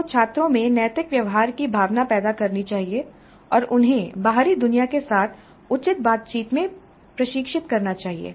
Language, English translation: Hindi, You must create that sense of ethical behavior in the students and train them in proper interaction with the outside world